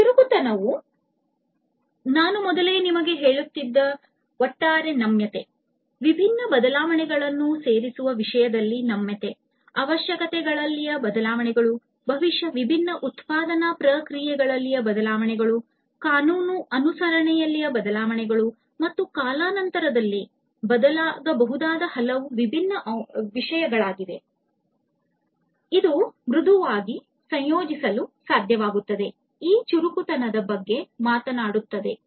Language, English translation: Kannada, Agility talks about overall flexibility which I was telling you earlier, flexibility in terms of incorporating different changes, changes in requirements, maybe, changes in the different production processes, changes in the legal compliance, and there are so, many different things that might change over time and in being able to incorporate it flexibly is what agility talks about